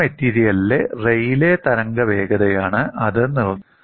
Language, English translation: Malayalam, That is dictated by the Raleigh wave speed in that material